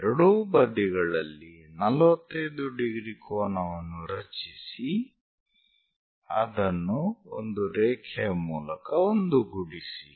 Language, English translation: Kannada, Locate 45 degree angle on both sides join it by a line